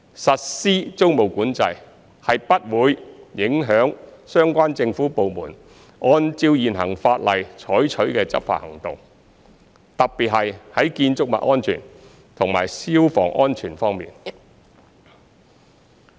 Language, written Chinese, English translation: Cantonese, 實施租務管制不會影響相關政府部門按照現行法例採取的執法行動，特別是在建築物安全和消防安全方面。, The implementation of tenancy control will not affect the enforcement actions taken by the relevant government departments under the existing legislation particularly in respect of building safety and fire safety